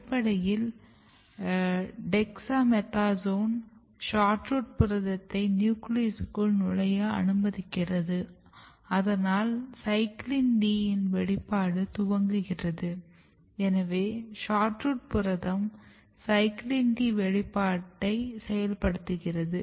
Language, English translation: Tamil, But when you treat with dexamethasone; dexamethasone is basically allowing SHORTROOT protein to enter inside the cell and when SHORTROOT protein is entering inside the cell you can see CYCLIN D expression starts which means that SHORTROOT protein is activating expression of CYCLIN D